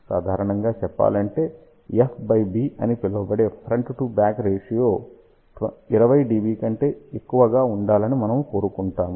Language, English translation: Telugu, Generally speaking we want front to back ratio also known as F by B to be greater than 20 dB